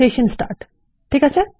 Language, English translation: Bengali, Session start, okay